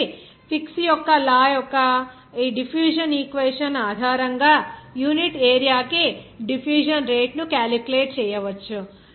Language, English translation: Telugu, So, the rate of diffusion per unit area can be calculated based on that diffusion equation of Fick’s law